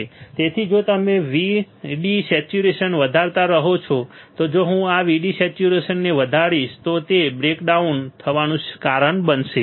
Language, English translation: Gujarati, So, if you keep on increasing VD saturation, if I keep on increasing this VD saturation right it will cause a breakdown